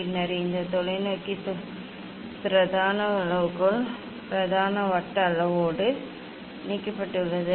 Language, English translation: Tamil, And then this telescope, telescope is attached with the main scale, main circular scale